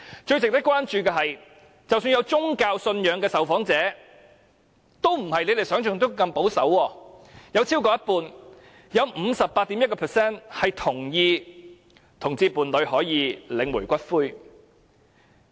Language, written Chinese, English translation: Cantonese, 最值得關注的是，即使有宗教信仰的受訪者也並不如你們想象中般保守，有超過一半同意同性伴侶可以領取伴侶的骨灰。, It is worth noting that respondents with religious beliefs are not as conservative as you imagine for over half 58.1 % of them agreed that same - sex couples could have the right to claim the ashes of their partner